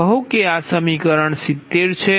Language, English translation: Gujarati, suppose this equation is seventy five